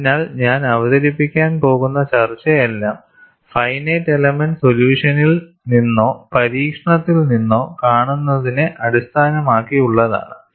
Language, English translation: Malayalam, So, whatever the discussion I am going to present is based on what is seen from finite elemental solution or from experiment